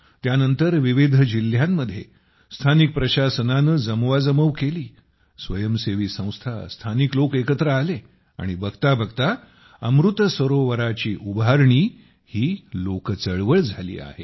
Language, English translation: Marathi, After that, the local administration got active in different districts, voluntary organizations came together and local people connected… and Lo & behold, the construction of Amrit Sarovars has become a mass movement